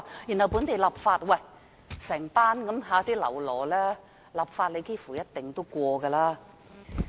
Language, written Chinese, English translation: Cantonese, 由於有這一班"嘍囉"，立法幾乎是一定通過的。, With this group of lackeys here it is almost certain that the legislation will be passed